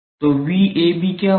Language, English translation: Hindi, So, what will be V AB